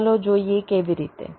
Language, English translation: Gujarati, so let see how